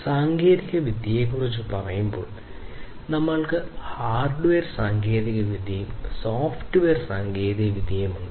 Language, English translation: Malayalam, So, when we are talking about technology basically we have the hardware technology and the software technologies, right